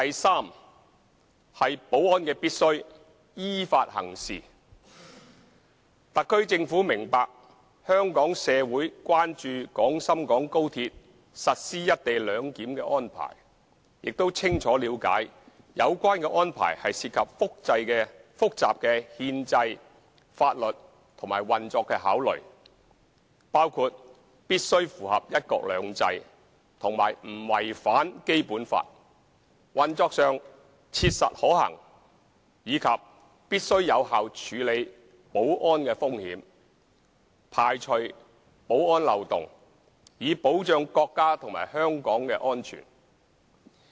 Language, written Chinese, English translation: Cantonese, c 保安必須依法行事特區政府明白香港社會關注廣深港高鐵實施"一地兩檢"的安排，亦清楚了解有關安排涉及複雜的憲制、法律及運作考慮，包括必須符合"一國兩制"和不違反《基本法》，運作上切實可行，以及必須有效處理保安風險，排除保安漏洞，以保障國家及香港的安全。, c Ensuring public security in accordance with the law The SAR Government is aware of the concern in Hong Kong society about the implementation of the co - location arrangement for XRL and clearly understands that the arrangement involves complicated constitutional legal and operational considerations including the necessity to comply with the principle of one country two systems and to ensure no violation of the Basic Law operational viability effective management of public security risks and elimination of security loopholes as a means of protecting the safety of the country and Hong Kong